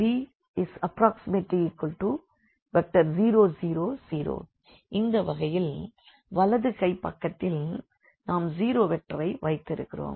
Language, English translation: Tamil, So, these are the and now the right hand side again this 0 vector